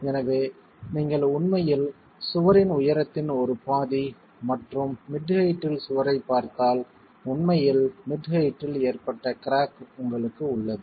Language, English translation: Tamil, So if you really look at the wall, you're looking at one half of the height of the wall and at mid height, you actually have the cracking that has occurred at the mid height